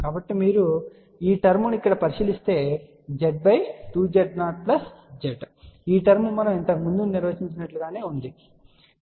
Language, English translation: Telugu, So, if you look into this term here Z divided by 2 Z 0 plus Z you will see that this term is exactly same as we had defined earlier